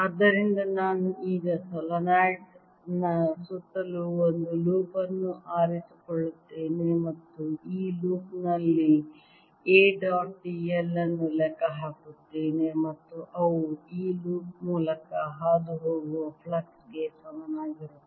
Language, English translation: Kannada, so let me now choose a loop around the solenoid and calculate a dot d l on this loop, and they should be equal to the flux passing through this loop